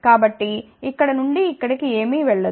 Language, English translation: Telugu, So, nothing will go from here to here